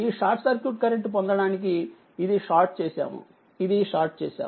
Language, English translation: Telugu, To get this your short circuit current, this is shorted this is shorted right